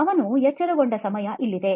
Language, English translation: Kannada, Here is the time he wakes up